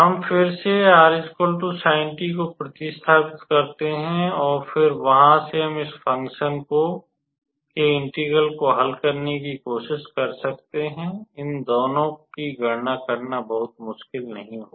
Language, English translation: Hindi, So, we again substitute r equals to sint, and then from there we can try to calculate this for this function this integral here, calculating these two would not be difficult